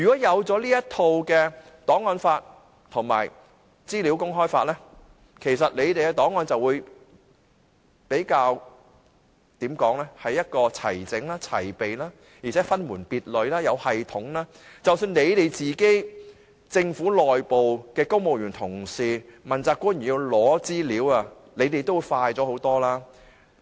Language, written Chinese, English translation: Cantonese, 如果有檔案法和資訊自由法，其實政府的檔案便會比較齊整和齊備，而且分門別類、有系統，即使政府內部的公務員同事或問責官員要找尋資料，也可以快捷得多。, If the archives law and legislation on freedom of information are in place the public records can be more organized and comprehensive . Moreover with classifications and system the civil servant colleagues or accountable officials within the Government can be more efficient when searching for information